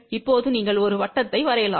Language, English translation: Tamil, Now, you draw a circle